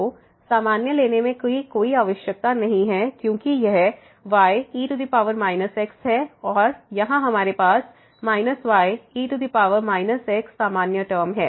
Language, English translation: Hindi, So, no need to take common because this is power minus and here we have minus power minus is the same term